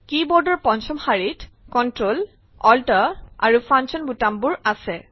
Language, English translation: Assamese, The fifth line of the keyboard comprises the Ctrl, Alt, and Function keys